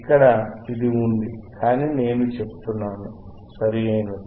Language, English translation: Telugu, hHere it is, but I am just saying, right